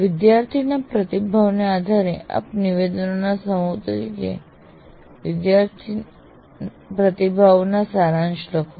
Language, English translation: Gujarati, And based on the student's response, you write a summary of the student feedback as a set of statements